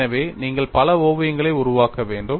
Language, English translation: Tamil, So, you need to make multiple sketches